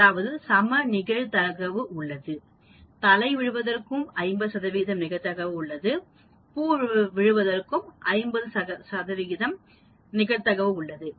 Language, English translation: Tamil, That means equal probability, 50 percent probability for heads 50 percent probability for tails